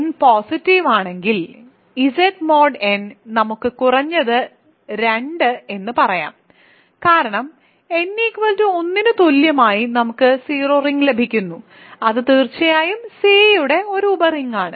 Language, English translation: Malayalam, For n positive Z mod n Z let us say n at least 2, because n equal to 1 we get the 0 ring, that is a certainly a sub ring of C